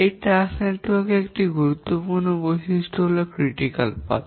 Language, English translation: Bengali, One important characteristic of this task network is the critical path